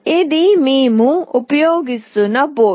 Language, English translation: Telugu, This is the board that we will be using